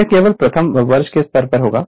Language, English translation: Hindi, It will be very I mean only at first year level